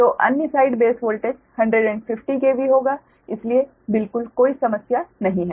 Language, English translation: Hindi, so other side base voltage will be hundred fifteen k v